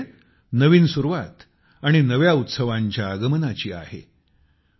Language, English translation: Marathi, And this time is the beginning of new beginnings and arrival of new Festivals